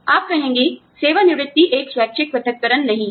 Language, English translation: Hindi, You will say, retirement is not a voluntary separation